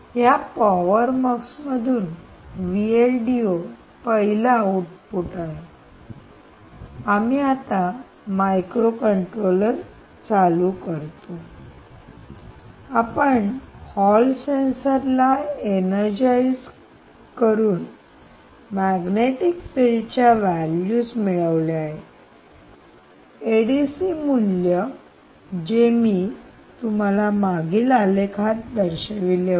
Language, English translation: Marathi, now that v l d o is the first one to be the output from this power mux, we now switch on the microcontroller and what we do is we energize the hall sensor to obtain the magnetic field value, the a d c value, which i showed you in the previous graph